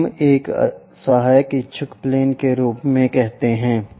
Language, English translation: Hindi, So, we call that one as auxiliary inclined plane